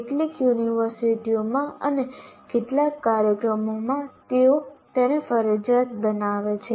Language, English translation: Gujarati, In some universities, in some programs, they make it mandatory